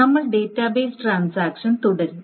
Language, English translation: Malayalam, We will continue with the database transactions